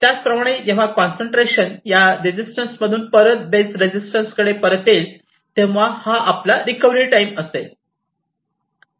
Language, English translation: Marathi, Similarly, when it comes back from this resistance to the base resistance so that is your recovery time